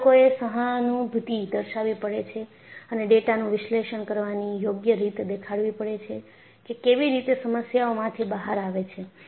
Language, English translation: Gujarati, So, people have to be sympathetic and provide proper way of analyzing data and come out of the problem